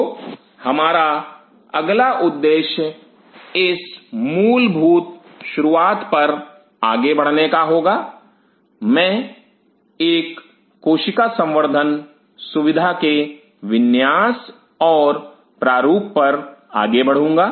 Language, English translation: Hindi, So, next our objective will be move on to with this basic start of I will move on to layout and design of a cell culture facility